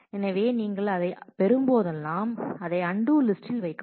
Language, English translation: Tamil, So, whenever you get that, then you put this into the undo list